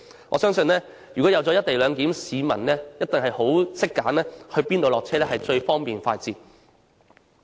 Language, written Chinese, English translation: Cantonese, 我相信如果實施"一地兩檢"，市民一定懂得選擇在哪裏下車是最方便快捷。, I believe that if the co - location arrangement is implemented the public will surely know where to disembark for border checks in the most speedy and convenient way